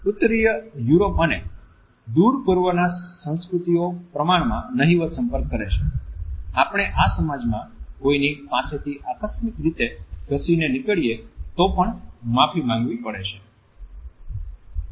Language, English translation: Gujarati, We find that in Northern Europe and Far East cultures are relatively non contact to the extent that one may have to apologize even if we accidentally brush against somebody in these societies